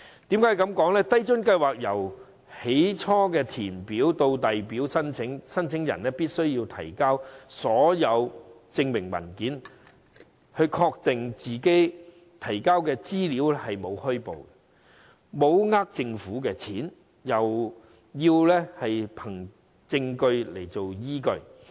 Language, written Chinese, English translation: Cantonese, 低津計劃由開始填表至遞交申請的過程，申請人必須提交所有證明文件，並確認他們提交的資料沒有虛報，沒有騙取政府金錢，並提交證據作依據。, In the course of making applications for LIFA from filling in the forms to submitting the applications applicants are required to submit all the supporting documents . They have to acknowledge that all the information they provide is true and they are not trying to cheat the Government they are thus required to produce evidence as proof